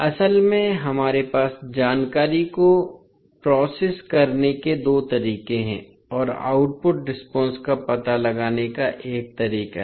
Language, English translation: Hindi, So, basically we have two ways to process the information and a find finding out the output response